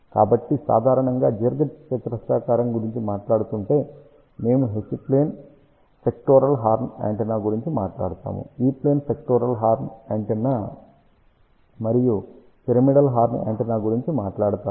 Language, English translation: Telugu, So, generally speaking in the rectangular shape, we will talk about H plane sectoral horn antenna, we will talk about E plane sectoral horn antenna, and pyramidal horn antenna